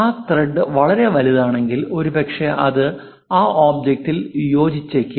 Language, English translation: Malayalam, Perhaps if that thread is very large perhaps it might not really fit into that object also